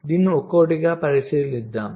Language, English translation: Telugu, so lets look into this one by one